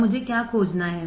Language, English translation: Hindi, Now what do I have to find